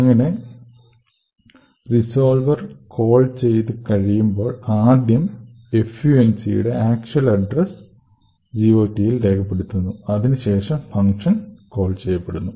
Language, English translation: Malayalam, Thus, at the end of the call to the resolver, the entry in the GOT contains the actual address of func, after the call to the resolver the actual functions get invoked